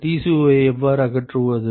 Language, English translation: Tamil, How do we eliminate Tco